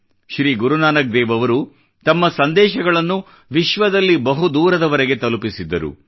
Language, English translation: Kannada, Sri Guru Nanak Dev ji radiated his message to all corners of the world